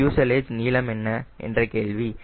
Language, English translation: Tamil, what should be the fuselage length